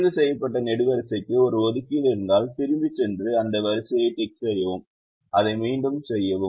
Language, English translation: Tamil, if a ticked column has an assignment, go back and tick that row and keep repeating it